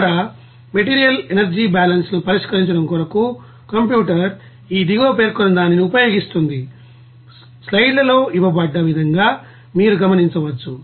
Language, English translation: Telugu, Now, the computer uses this following you know to solve material energy balances here you will see as given in the slides